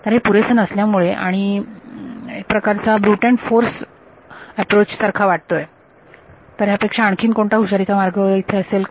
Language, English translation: Marathi, So, that is not enough and anyway that sounds like a brute force approach is there something cleverer